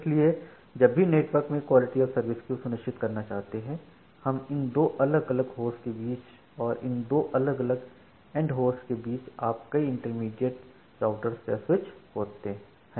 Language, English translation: Hindi, So, whenever you want to ensure quality of service over the network, say you have these two different end host and between these two different end hosts you have multiple intermediate routers or switches